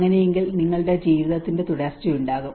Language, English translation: Malayalam, So in that way, your continuity of your life will be there